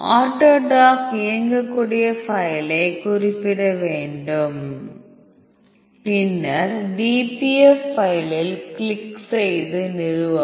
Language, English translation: Tamil, So, click run, run autodck you have to specify the autodock executable file, then your dpf file, then click launch